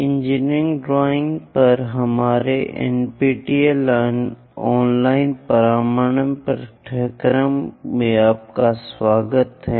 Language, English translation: Hindi, Welcome to our NPTEL online certification courses on Engineering Drawing